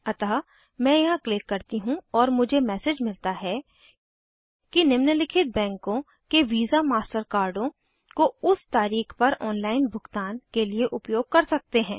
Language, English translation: Hindi, So let me click here and i get the the message that the following banks visa / master debit cards can be used to make online transaction as on date